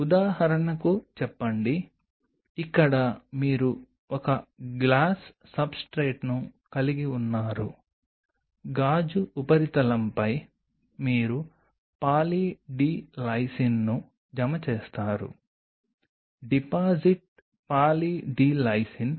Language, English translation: Telugu, Say for example, here you have a substrate a glass substrate, on a glass substrate you deposit Poly D Lysine; deposit Poly D Lysine